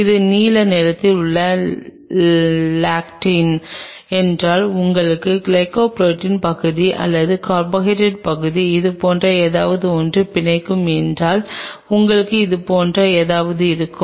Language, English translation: Tamil, What you essentially will have something like this if this is the lectin in a blue color, you will have a glycoprotein part or the carbohydrate part will bind to it something like this